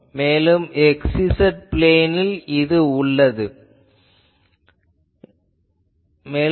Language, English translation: Tamil, And I can say that is in the x z plane ok